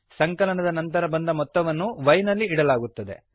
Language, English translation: Kannada, The value obtained after the addition is stored in y